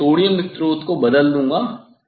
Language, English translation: Hindi, I will replace the sodium source